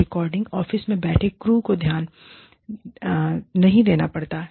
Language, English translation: Hindi, The crew, sitting in the recording office, does not have to pay attention